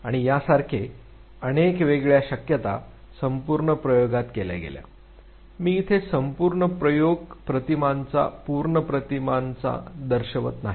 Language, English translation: Marathi, And several such manipulations were done in the entire experimentation I am not showing you the full images sequence of images rather